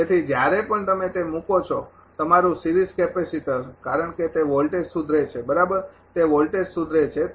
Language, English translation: Gujarati, So, whenever whenever you put that ah your series capacitor; because that voltage is improving right voltage is improving